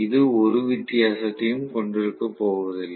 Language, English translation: Tamil, It is not going to have so much of difference